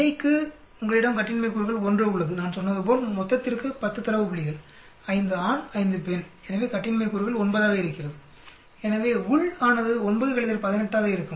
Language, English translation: Tamil, For between, you have a degrees of freedom 1, for total as I said there are 10 data points 5 male, 5 female so degrees of freedom is 9 so within will be 9 minus 1 8